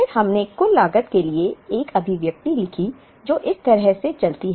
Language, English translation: Hindi, Then, we wrote an expression for the total cost which runs like this